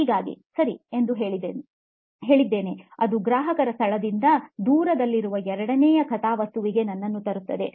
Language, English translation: Kannada, So I said okay, let’s, that brings me to the second plot which is the distance from the customer location